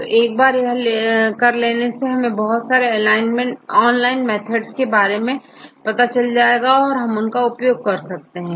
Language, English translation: Hindi, So, then once done, then we can do several online methods